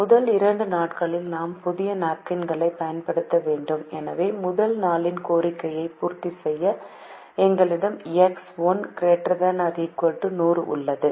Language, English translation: Tamil, so the first two days we have to use new napkins and therefore, to meet the first day's demand we have x one greater than or equal to hundred